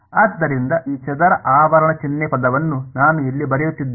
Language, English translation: Kannada, So, this square bracket term I am writing over here